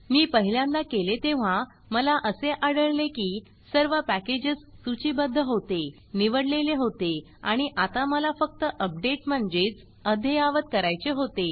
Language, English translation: Marathi, When I did first time, I found that all the packages had been listed, all the packages had been selected, then I just go and say update the whole thing